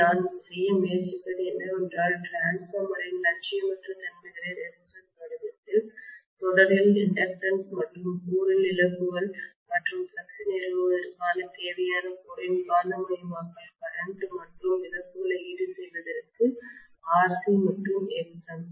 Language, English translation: Tamil, So what I am trying to do is, to lump the non idealities of the transformer in the form of resistance, inductance in series and the core losses and the magnetising current requirement of the core to establish the flux and to feed the losses as RC and Xm